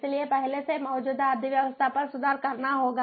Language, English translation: Hindi, so the economy has to be improved over what already exists